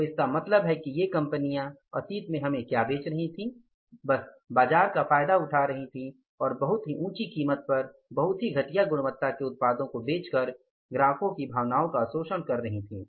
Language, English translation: Hindi, So, it means what these companies were selling to us in the past, they were simply exploiting the market and exploiting the sentiments of the customers by passing on the very inferior quality products to us at a very high price, right